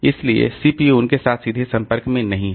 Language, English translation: Hindi, So, CPU is not directly involved there